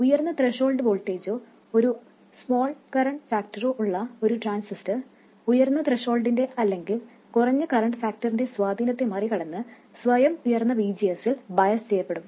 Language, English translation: Malayalam, A transistor with a higher threshold voltage or a smaller current factor will automatically get biased with a higher VGS compensating for the effect of the higher threshold or lower current factor